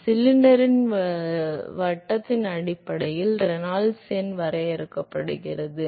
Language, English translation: Tamil, So, Reynolds number is defined based on the diameter of the cylinder